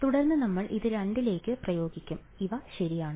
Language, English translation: Malayalam, And then we will apply it to two these are applications ok